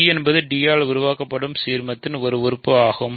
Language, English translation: Tamil, So, b is an element of the ideal generated by d